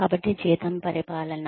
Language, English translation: Telugu, So, salary administration